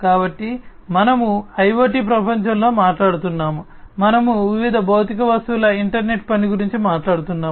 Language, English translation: Telugu, So, we have we are talking about in the IoT world, we are talking about an internetwork of different physical objects right so different physical objects